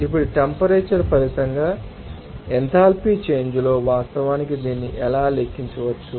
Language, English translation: Telugu, Now, in enthalpy change as a result of temperature, how it can be actually calculated